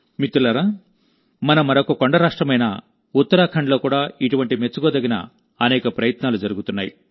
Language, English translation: Telugu, Friends, many such commendable efforts are also being seen in our, other hill state, Uttarakhand